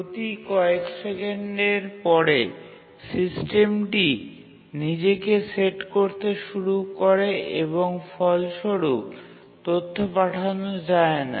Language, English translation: Bengali, The system, after every few seconds started resetting itself and as a result, data could not be transmitted